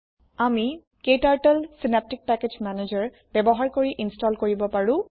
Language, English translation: Assamese, We can install KTurtle using Synaptic Package Manager